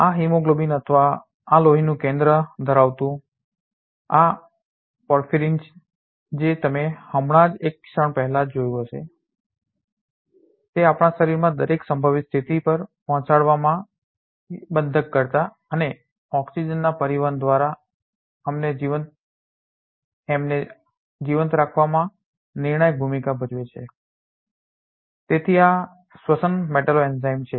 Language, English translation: Gujarati, These hemoglobin or these porphyrin containing iron center that you just have seen a moment ago plays a crucial role in keeping us alive by transporting binding and transporting oxygen to deliver it at every possible position in our body keeps us alive, so these are respiratory metalloenzyme